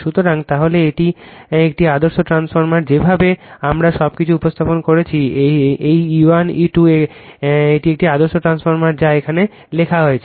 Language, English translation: Bengali, So, then this is an ideal transformer the way we have represented everything as it this E 1 E 2 this is an ideal transformer that is written here, right